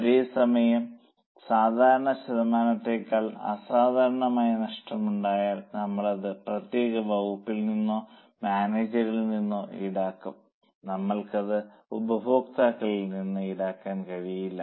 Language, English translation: Malayalam, Whereas if there is an abnormal loss in excess of that normal percentage, we will charge it to that particular department or to the manager